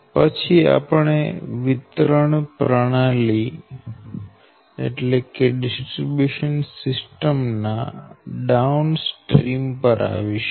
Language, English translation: Gujarati, then we will come to downstream, the distribution system